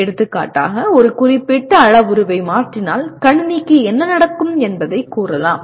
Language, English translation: Tamil, For example if you say if I change a certain parameter what happens to the system